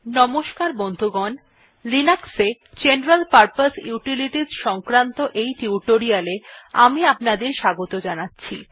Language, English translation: Bengali, Hi, welcome to this spoken tutorial on General Purpose Utilities in Linux